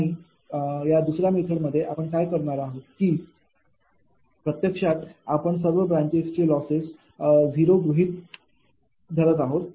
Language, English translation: Marathi, right, and in the second method case what you are doing is actually we are assuming the losses of all branches are zero